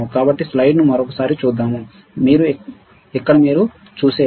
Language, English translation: Telugu, So, let us see the slide once again, here what you see is here, what you see is